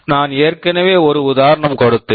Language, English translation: Tamil, I already gave an example